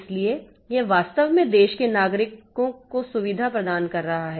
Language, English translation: Hindi, So, it is actually providing facility to the citizen of the country